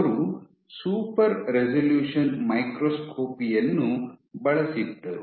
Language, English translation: Kannada, So, she used super resolution microscopy